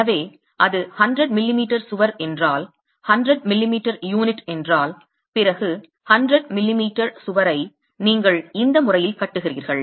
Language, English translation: Tamil, So, if it's 100 m wall, 100 m m unit, then it's a 100 m wall that you're constructing in this manner